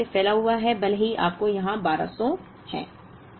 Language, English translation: Hindi, It is kind of spread out, even though you have a 1200 somewhere here